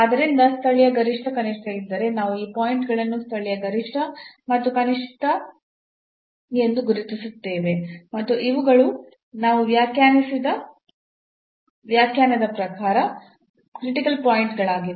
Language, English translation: Kannada, So, if there is a local maximum minimum we will identify those points local maximum and minimum and among these which are the critical points as per the definition we have defined